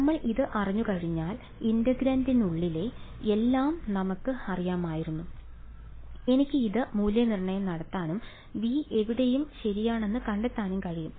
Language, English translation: Malayalam, Once we knew this, then we knew everything inside the integrand and I could evaluate this and find out V anywhere right